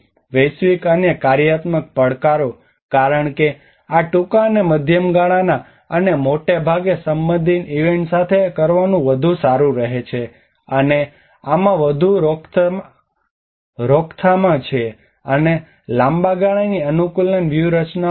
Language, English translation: Gujarati, Temporal and functional challenges; because this is more to do with the short and medium term and mostly to the event related, and this has more of a prevention and also the long term adaptation strategies